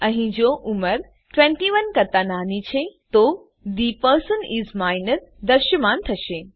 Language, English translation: Gujarati, Here, if age is less than 21, The person is Minor will be displayed